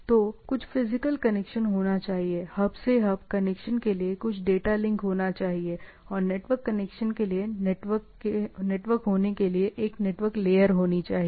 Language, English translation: Hindi, So, there should be some physical connection, there should be some data link for hub to hub connection, and there should be a network layer to have a network to network connection, right